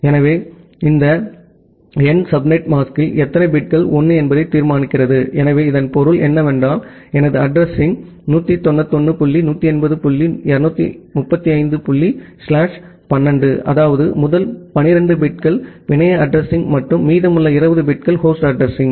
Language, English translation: Tamil, So, this number determines that how many bits in the subnet mask are 1, so that means, if I my address is 191 dot 180 dot 235 dot slash 12; that means, the first 12 bits are the network address and the remaining 20 bits are the host address